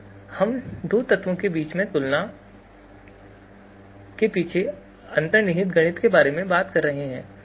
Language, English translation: Hindi, So we are talking about the underlying mathematics behind a comparison between two elements